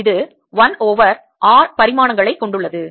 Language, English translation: Tamil, this has dimensions of one over r